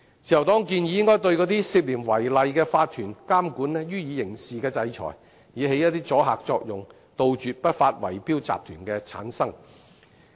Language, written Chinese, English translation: Cantonese, 自由黨建議應該對涉嫌違例的法團予以刑事制裁，以起阻嚇作用，杜絕不法圍標集團的產生。, The Liberal Party proposes imposing criminal sanctions on OCs which are suspected of violating BMO to create a deterrent effect thus eradicating the formation of illegal bid - rigging syndicates